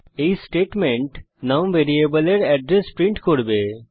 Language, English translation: Bengali, This statement will print the address of the variable num